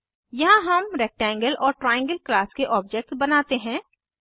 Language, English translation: Hindi, Here we create objects of class Rectangle and Triangle